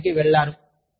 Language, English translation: Telugu, You have go to work